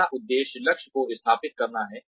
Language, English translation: Hindi, The first one is, setting up objectives